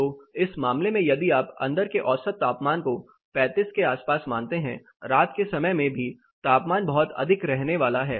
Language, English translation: Hindi, So, in this case if you consider around 35 as an average indoor temperature, even in the night time the temperature are going to be much higher